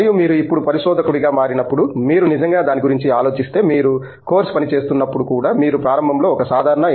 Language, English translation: Telugu, And, when you now become a researcher so if you really think about it, even when you are doing course work right, to start with you are doing like lot less number of courses when compared to a typical M